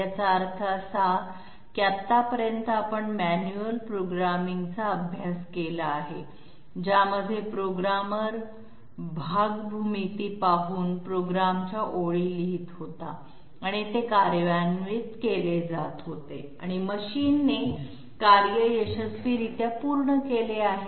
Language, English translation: Marathi, This means that up till now we have studied about manual programming in which the operator was I mean the programmer was writing lines of the program by looking at the part geometry and that was being executed and the machine was successfully done